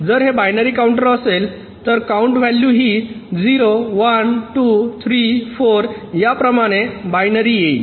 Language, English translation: Marathi, so if it is binary counter, the count values will come like this: binary: zero, one, two, three, four, like this